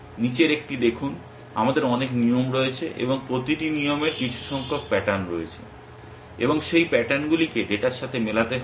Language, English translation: Bengali, See one is the following, that we have many rules and each rule has some number of patterns and those patterns have to be match with data